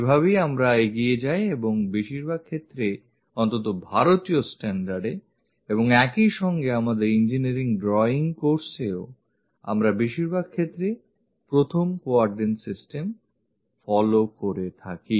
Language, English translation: Bengali, This is the way we go ahead and most of the cases, at least for Indian standards and alsofor our engineering drawing course, we extensively follow this 1st quadrant system